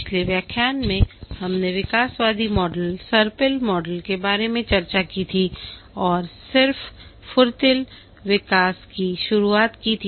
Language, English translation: Hindi, In the last lecture, we had discussed about the evolutionary model, the spiral model, and we had just introduced the agile development